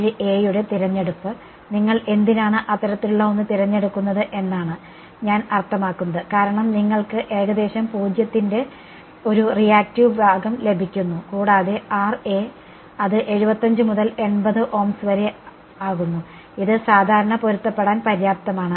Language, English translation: Malayalam, 47 a is I mean why would you choose something like that is because you are getting a reactive part of nearly 0 right and the Ra comes out to be as 75 to 80 Ohms which is easy enough to match in a regular RF circuit